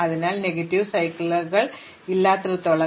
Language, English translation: Malayalam, So, long as there are no negative cycles